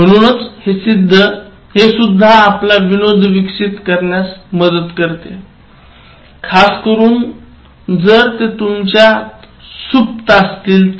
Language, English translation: Marathi, So that also helps you develop your humour, especially if it has become dormant in you